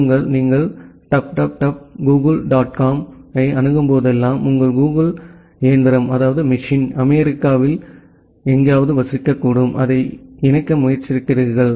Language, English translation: Tamil, Say, whenever you are accessing dub dub dub dot google dot com your google machine is possibly residing somewhere in USA and you are trying to connect it